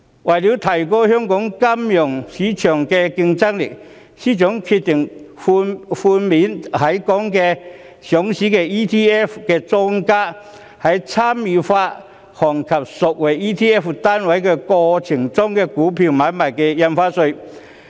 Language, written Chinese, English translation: Cantonese, 為了提高香港金融市場的競爭力，司長決定在參與發行及贖回 ETF 單位的過程中，寬免在港上市的 ETF 的莊家的股票買賣印花稅。, In order to strengthen the competitiveness of our financial market the Financial Secretary has decided to waive the stamp duty on stock transfers paid by ETF market makers in the course of creating and redeeming ETF units listed in Hong Kong